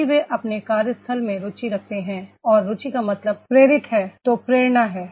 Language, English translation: Hindi, If they are having the interest in their workplace and interest means motivated, motivation is there